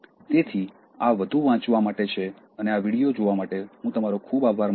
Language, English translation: Gujarati, So, this for further reading and I thank you so much for watching this video